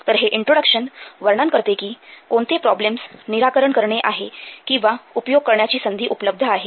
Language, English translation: Marathi, So this introduction will describe a problem to be solved or an opportunity to be exploited